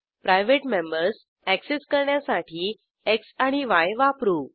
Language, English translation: Marathi, To access the private members we use x and y